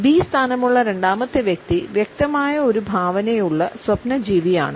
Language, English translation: Malayalam, The second person with the position B is rather a dreamer who happens to have a vivid imagination